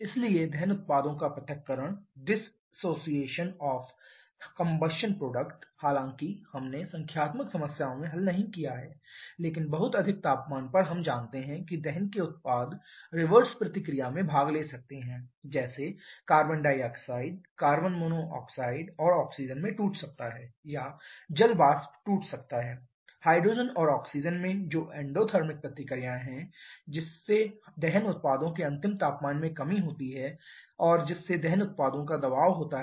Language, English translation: Hindi, But at very high temperature we know the products of combustion can get can participate in reverse reaction like carbon dioxide can get broken into carbon monoxide and oxygen or water vapour can get broken into hydrogen and oxygen which are endothermic reaction thereby causing a reduction in the final temperature of the combustion products and thereby the pressure of the combustion products